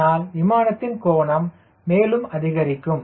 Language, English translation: Tamil, so angle of attack further increase